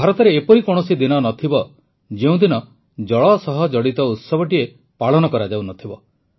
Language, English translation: Odia, There must not be a single day in India, when there is no festival connected with water in some corner of the country or the other